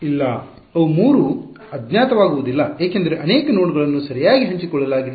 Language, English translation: Kannada, No; they will not be 3 unknowns because many of the nodes are shared right